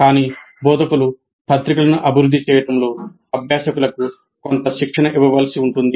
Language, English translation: Telugu, But instructors may have to provide some training to the learners in developing journals